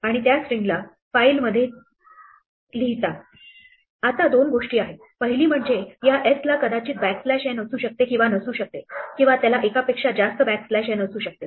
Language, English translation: Marathi, Now, there are two things; one is this s may or may not have a backslash n, it may have more than one backslash n